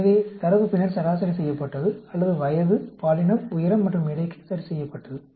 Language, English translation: Tamil, So, the data was then averaged out, or adjusted for age, sex, height and weight